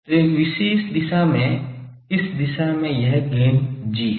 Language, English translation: Hindi, So, in a particular direction let us say at this direction this gain is G